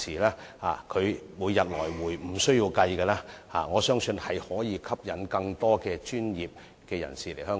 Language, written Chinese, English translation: Cantonese, 若即日來回便無須計算，我相信亦可以吸引更多專業人士來港。, I believe if same - day return is not counted it will attract more professionals to come to Hong Kong